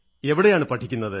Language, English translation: Malayalam, And where do you study